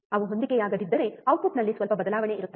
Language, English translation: Kannada, If they do not match, then there will be some change in the output right